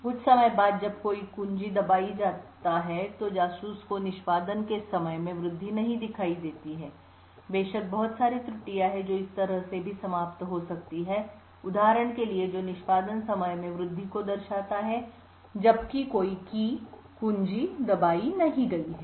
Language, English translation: Hindi, Again after some time when there is no key pressed the spy does not see an increase in the execution time, there are of course a lot of errors which may also creep up like for example this over here which shows an increase in execution time even though no keys have been pressed